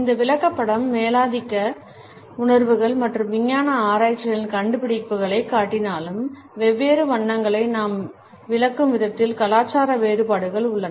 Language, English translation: Tamil, Even though this chart displays the dominant perceptions as well as findings of scientific researches, there are cultural variations in the way we interpret different colors